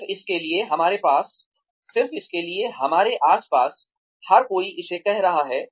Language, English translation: Hindi, Just because, everybody else around us is doing it